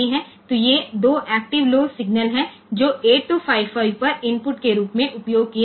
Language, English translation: Hindi, So, these are 2 active low signals that are the used as inputs to 8255